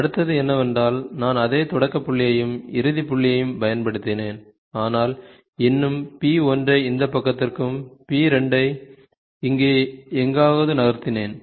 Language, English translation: Tamil, The next one is, I have used the same starting point and ending point, but still moved the p 1 to this side and p 2 somewhere here